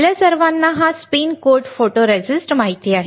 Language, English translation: Marathi, We all know this spin coat photoresist